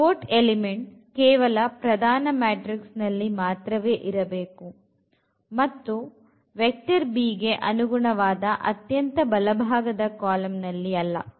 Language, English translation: Kannada, The pivot should be there in this main matrix here not in this rightmost column which corresponds to this right hand side vector b ok